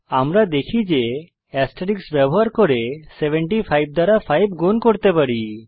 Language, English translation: Bengali, we see that by using asterisk we could multiply 75 by 5